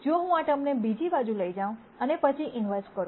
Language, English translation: Gujarati, If I take this term to the other side, and then do the inverse